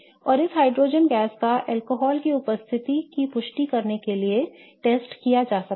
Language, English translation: Hindi, And this hydrogen gas as I said can be tested to confirm the presence of an alcohol